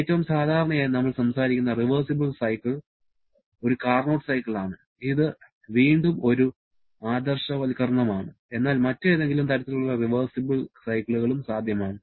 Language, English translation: Malayalam, The most common cycle that we talk about as a reversible one is a Carnot cycle, which is again an idealization but it is possible to have any other kind of reversible cycles also